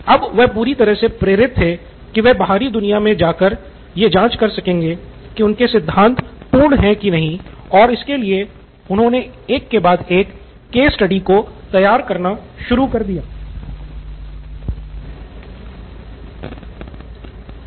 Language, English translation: Hindi, So now he was totally motivated to go and check out how his theory will stand, so he started running case study after case study